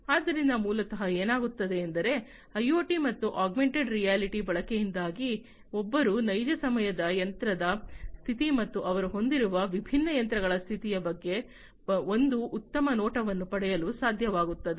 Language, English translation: Kannada, So, basically what happens is with the use of IoT and augmented reality, one is able to get a smart view about the real time machine status and the condition of the machines of the different machines that they have